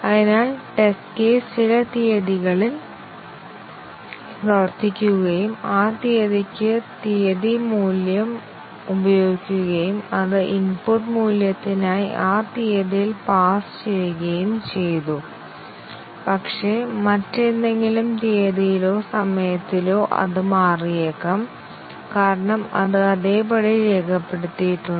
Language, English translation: Malayalam, So, the test case was run on some date and the date value was used for that date and it passed on that date for that input value but, may be on some other date or time; it may change, because it was just recorded as it is